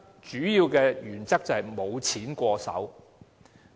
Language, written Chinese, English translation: Cantonese, 主要的原則是"無錢過手"。, The important principle is they should have no extra money in their pockets